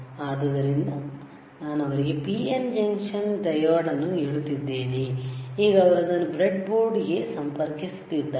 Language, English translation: Kannada, Now he is connecting PN junction diode to the breadboard